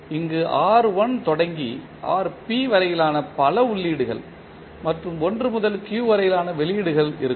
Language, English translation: Tamil, Where all multiple inputs starting from R1 to Rp and outputs are from 1 to q